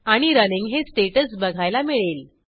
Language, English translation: Marathi, And we will see the status as Running